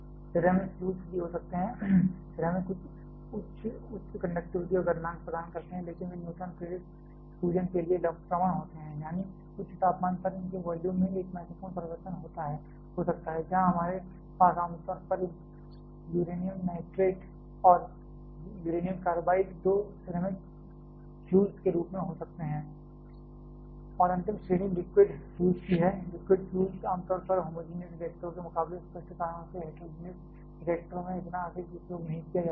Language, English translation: Hindi, There can be ceramic fuels as well, ceramic offers some very high conductivity and melting point, but they are prone to neutron induced swelling; that is at high temperature there may be a significant change in it is volume, there we can have commonly uranium nitrate and uranium carbide as the two ceramic fuels and the final category is the that of the liquid fuels, liquid fuels are generally used in the homogenous reactors and not that much in heterogeneous reactors for obvious reasons